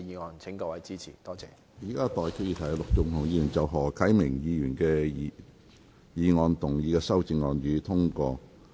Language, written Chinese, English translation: Cantonese, 我現在向各位提出的待議議題是：陸頌雄議員就何啟明議員議案動議的修正案，予以通過。, I now propose the question to you and that is That the amendment moved by Mr LUK Chung - hung to Mr HO Kai - mings motion be passed